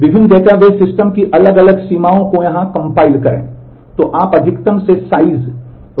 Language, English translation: Hindi, At compile different limits of different database systems here